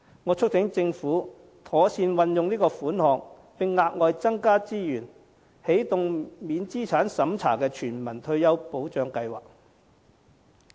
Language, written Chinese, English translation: Cantonese, 我促請政府妥善運用款項，並額外增加資源，起動免資產審查的全民退休保障計劃。, I urge the Government to make good use of the funds and provide additional resources to launch a universal non - means - tested retirement protection scheme